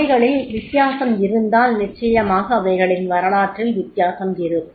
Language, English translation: Tamil, If they are different, then definitely in that case their history will be different